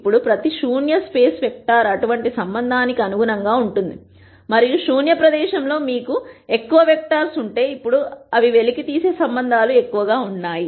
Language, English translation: Telugu, Now, every null space vector corresponds to one such relationship and if you have more vectors in the null space then you have more relationships that you can uncover